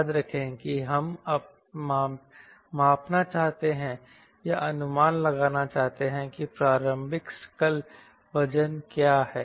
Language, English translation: Hindi, remember, we want to measure or estimate, edit, we want to estimate what is the initial gross weight